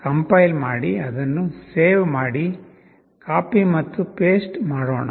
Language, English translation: Kannada, We compile it, we save it, copy and paste